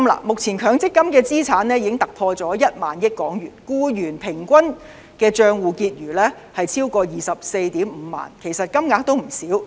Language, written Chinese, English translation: Cantonese, 目前強積金的資產已突破1萬億港元，僱員平均帳戶結餘超過 245,000 元，其實金額也不少。, At present the total assets of MPF are over 1 trillion with the average balance of each employee at more than 245,000 which is actually not a small amount